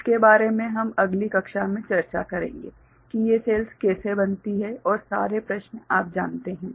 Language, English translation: Hindi, More about this we shall discuss in the next class how these cells are formed and all how they are you know